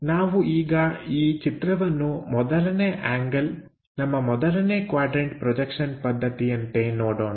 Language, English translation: Kannada, Let us look at this picture in the 1st angle our 1st quadrant kind of system